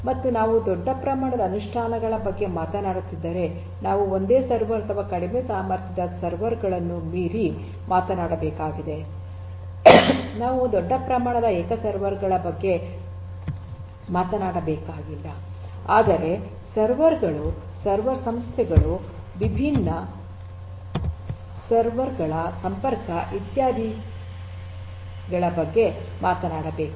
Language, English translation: Kannada, And if we are talking about large scale implementations we have to talk beyond single servers, low capacity servers, we have to talk about large scale not singular servers, but servers server firms, connection of different servers and so on